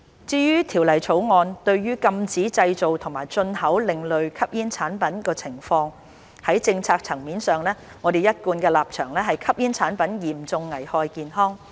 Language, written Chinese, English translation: Cantonese, 至於《條例草案》禁止製造及進口另類吸煙產品，在政策層面上，我們的一貫立場是吸煙產品嚴重危害公眾健康。, As for the ban of the Bill on the manufacture and import of ASPs our long - standing policy position is that smoking products are a serious public health hazard